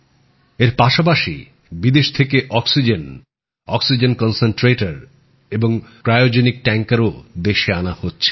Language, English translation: Bengali, Along with that, oxygen, oxygen concentrators and cryogenic tankers from abroad also are being brought into the country